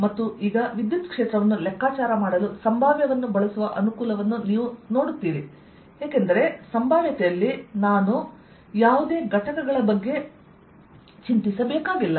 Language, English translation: Kannada, and now you see the advantage of using potential to calculate electric field later, because in the potential i don't have to worry about any components